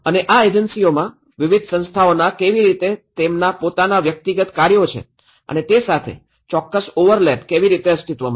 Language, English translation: Gujarati, And how different bodies have their own individual tasks and as well as certain overlap is do existed within these agencies